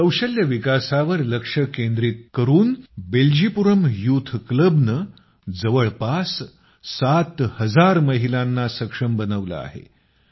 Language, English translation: Marathi, Focusing on skill development, 'Beljipuram Youth Club' has empowered around 7000 women